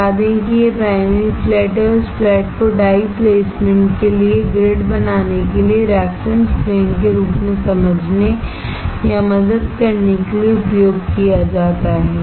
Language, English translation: Hindi, Let us say this is the primary flat and this flat is used to understand or to help as a reference plane to form the grid for die placement